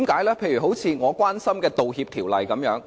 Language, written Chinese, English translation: Cantonese, 例如，我關心的《道歉條例》。, Take the Apology Ordinance that I concern myself with as an example